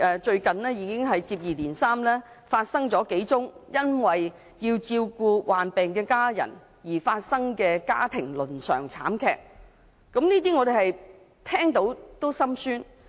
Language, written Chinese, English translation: Cantonese, 最近接二連三發生了數宗與照顧患病家人相關的家庭倫常慘劇，聞者心酸。, It was disheartening to hear several family tragedies related to taking care of sick family members that happened recently